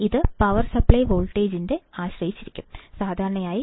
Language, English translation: Malayalam, Depends on the power supply voltage, and typically is about plus minus 13